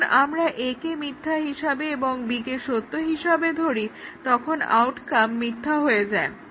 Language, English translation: Bengali, Now, if we keep A as true and B as false, the outcome is false